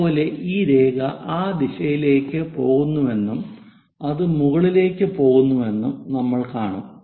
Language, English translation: Malayalam, Similarly, this line we will see it as that there is going in that direction that goes in that way and it goes up comes there